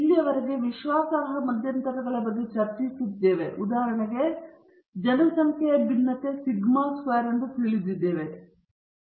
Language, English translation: Kannada, So far when discussing about the confidence intervals, for example, we have assumed that the sample, not sample, the population variance sigma squared is known